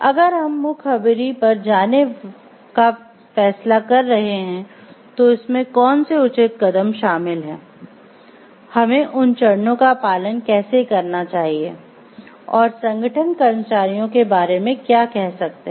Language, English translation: Hindi, If we are deciding for going for whistle blowing then what are the proper steps involved in it, how we should follow those steps, and what the organization can do about the employees whistle blowing